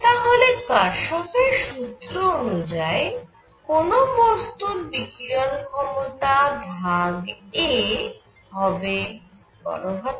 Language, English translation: Bengali, So, Kirchhoff’s rule; law says that emissive power of any body divided by a is equal to E